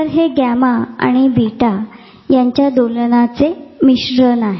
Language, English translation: Marathi, So, this is a blending of gamma and theta oscillations